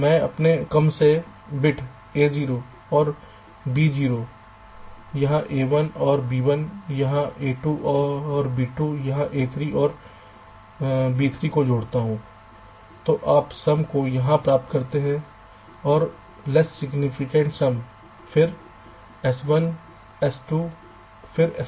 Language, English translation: Hindi, so what i do, i connect my least significant bits, a zero and b zero, here, a one and b one, here, a two and b two, here, a three and b three here, and you get as the output this, some from this side, less significant, some